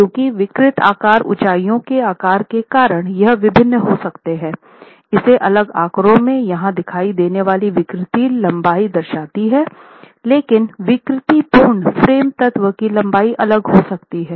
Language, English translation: Hindi, That since the deformable heights could be different because of the sizes of the openings, the deformable length that you see in this next figure here, the deformable length of the frame element could be different